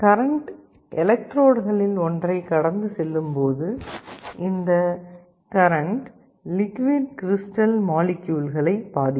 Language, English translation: Tamil, When some electric current is passed through one of the electrodes, this electric current will influence the liquid crystal molecules